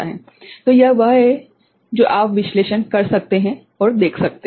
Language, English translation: Hindi, So, that is what you can analyse and see